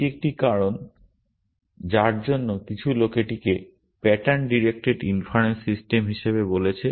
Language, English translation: Bengali, Which is one reason why some people have called this as pattern directed inference systems